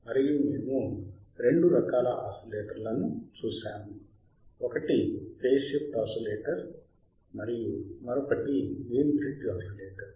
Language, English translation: Telugu, And we haveare seening two kinds of oscillators, one waiss your phase shift oscillator and another one was yourwas Wein bridge oscillator